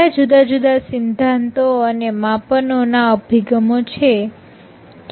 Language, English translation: Gujarati, what are the different theories and measurement approaches